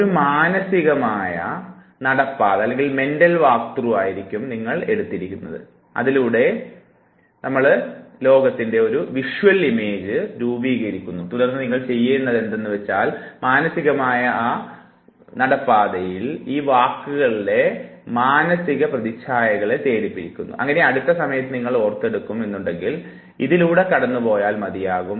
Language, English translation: Malayalam, So all you do is that you now undertake a mental walk through and when you take the mental walk through you form the visual image of the world and all you have to do is that in that very mental walk through you keep on locating these words, their visual images, so that next time when you have to recollect all you have to do is it we have to just walk through that very space